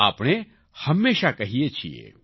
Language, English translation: Gujarati, We always say